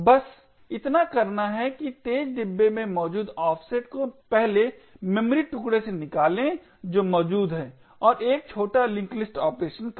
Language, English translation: Hindi, All that is required is just to find the offset in the fast bin pick out the 1st memory chunk that is present and do a small link list operation